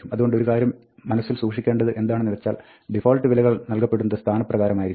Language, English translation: Malayalam, So, the thing to keep in mind is that, the default values are given by position